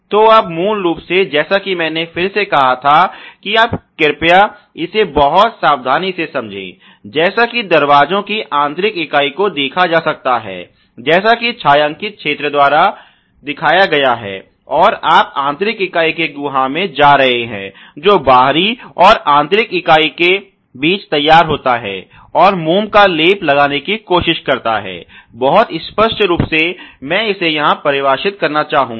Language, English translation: Hindi, So, you basically as I again told you please understand this very carefully, this is the outer member ok as can seen by the sorry the inner member as can be seen by the shaded region, and you are going into the cavity of the inner member and going into that space which is formulated between the outer member and the inner member and trying to do the wax coating very, very clearly I would like to define this here ok